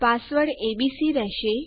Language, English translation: Gujarati, My password will be abc